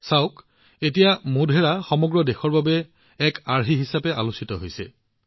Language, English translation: Assamese, Look, now Modhera is being discussed as a model for the whole country